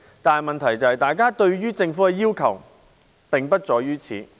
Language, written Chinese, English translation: Cantonese, 但是，問題是大家對於政府的要求並不止於此。, However the point at issue is that our expectations from the Government are not limited to that